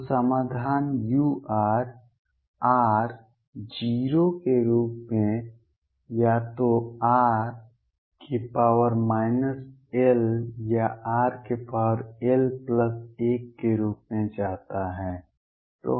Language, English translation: Hindi, So, the solution u r as r tends to 0 goes as either r raised to minus l or r raise to l plus 1